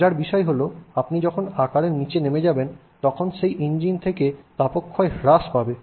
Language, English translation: Bengali, Interestingly when you go down in size the heat loss from that engine is actually quite high